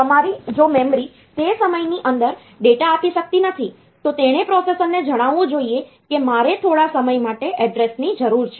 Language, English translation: Gujarati, If the memory is not able to give the data within that time, then it should tell the processor that I need the address for some more time